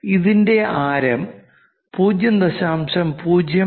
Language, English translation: Malayalam, If it is 0